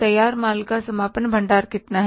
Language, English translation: Hindi, Closing stock of finished goods is how much